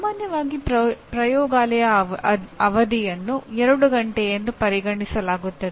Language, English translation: Kannada, Normally laboratory session is considered to be 2 hours